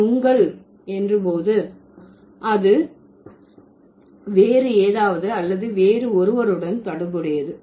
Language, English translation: Tamil, When I say your, it's related to the you with something else or somebody else